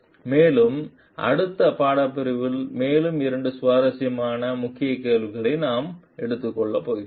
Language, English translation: Tamil, And, we are going to take up more two interesting key questions in the next module